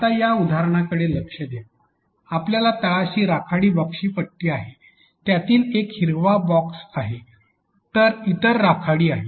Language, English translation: Marathi, Now, look at this example we have strip of gray boxes at the bottom and one of them is green while others are grey